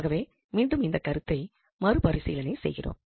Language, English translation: Tamil, So, just to review again this concept